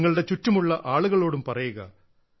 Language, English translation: Malayalam, Inform those around you too